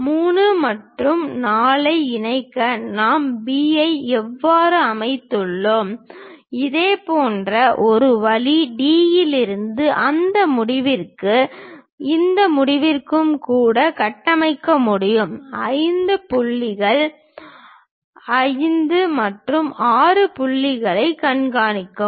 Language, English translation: Tamil, The way how we have located B to connect 3 and 4, similar way one can even construct from D all the way to that end and all the way to this end to track 5 point 5 and 6 points